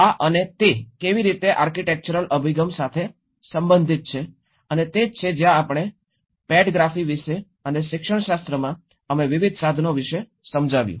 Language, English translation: Gujarati, So, this and how it is related to architectural orientation and that is where we talked about the pedagogy and in the pedagogy, we did explain about various tools